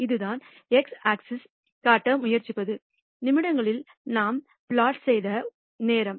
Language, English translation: Tamil, And that is what this is trying to show on the x axis is a time in minutes that we have plotted